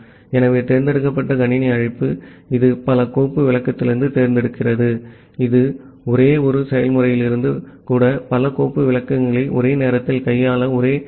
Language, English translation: Tamil, So the select system call, it selects from multiple file descriptor, which is a concurrent way to handle multiple file descriptor simultaneously even from a single process